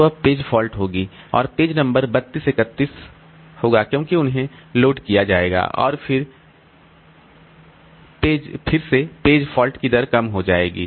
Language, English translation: Hindi, So now there will be page fault and the page number 32, 31 so they will be loaded and again page fault rate will decrease